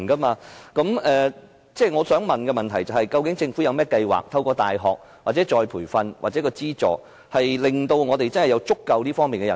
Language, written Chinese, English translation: Cantonese, 我的補充質詢是，究竟政府有甚麼計劃，例如透過大學課程、再培訓計劃或資助方式，令香港有足夠的金融科技人才？, I have this supplementary question . What actual plans does the Government have for cultivating sufficient Fintech talents in Hong Kong such as through university courses retraining programmes and provision of subsidies?